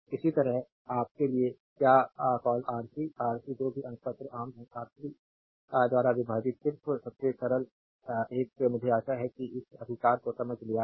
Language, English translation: Hindi, Similarly, for your what you call Rc, Rc whatever numerator is common divided by R 3 just simplest one; I hope you have understood this right